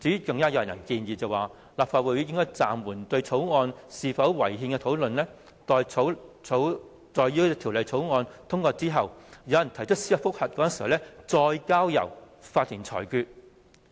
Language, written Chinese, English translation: Cantonese, 更有人建議，立法會應暫緩對《條例草案》是否違憲的討論，待《條例草案》通過之後，有人提出司法覆核時，再交由法庭裁決。, There is also a suggestion that the Legislative Council should suspend the discussion on whether the Bill is unconstitutional and let the court decide should a judicial review is filed after the passage of the Bill